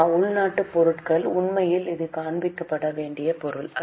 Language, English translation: Tamil, Indigenous raw material, actually this is not an item to be shown